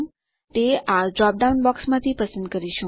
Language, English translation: Gujarati, We will choose it from the drop down box here